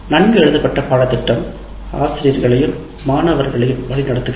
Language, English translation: Tamil, A well written syllabus guides faculty and students alike